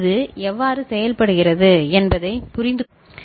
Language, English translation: Tamil, You understand how it works